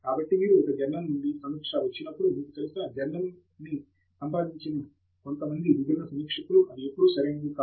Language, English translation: Telugu, So, when you get a review from a journal, which comes from, you know, few different reviewers whom the journal has approached, it is not necessary that they are always right